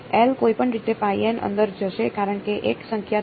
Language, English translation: Gujarati, L anyway will go inside because phi n is a number